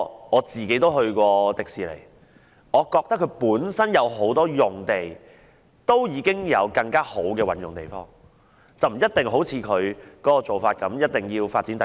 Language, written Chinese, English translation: Cantonese, 我曾前往迪士尼樂園，我個人認為樂園本身有很多用地，可以更好地運用，不一定要發展第二期。, I have been to the Disneyland and I personally think that many sites in Disneyland can be put into better use and second phase development is not a must